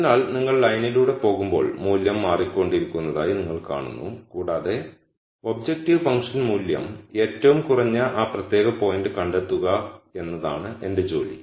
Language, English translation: Malayalam, So, as you go along the line you see that the value keeps changing and my job is to nd that particular point where the objective function value is the min imum